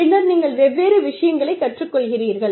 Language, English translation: Tamil, And then, you learn different things